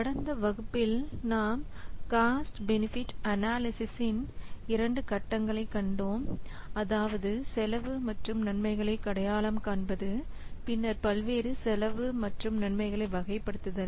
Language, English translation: Tamil, Last class we have seen these two phases of cost benefit analysis, that means identifying the cost and benefits, then categorizing the various cost and benefits